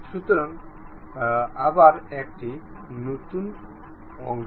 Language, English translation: Bengali, So, again new part, ok